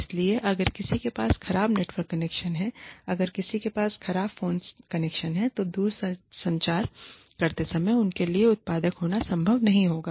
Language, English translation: Hindi, So, if somebody has a bad network connection, if somebody has a bad phone connection, then it will not be possible for them, to be productive, while telecommuting